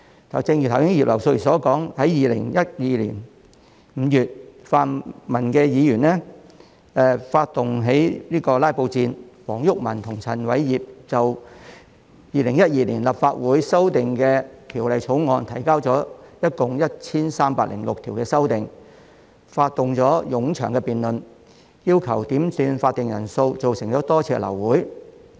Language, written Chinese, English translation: Cantonese, 正如葉劉淑儀議員剛才提到2012年5月，泛民議員發動了"拉布"戰，黃毓民及陳偉業就《2012年立法會條例草案》提交了共 1,306 項修正案，發動了冗長的辯論，要求點算法定人數造成了多次流會。, As Mrs Regina IP said just now Members from the pan - democratic camp started a filibuster in May 2012 WONG Yuk - man and Albert CHAN proposed a total of 1 306 amendments to the Legislative Council Amendment Bill 2012 and initiated a lengthy debate on the amendments . The numerous quorum calls had resulted in a large number of aborted meetings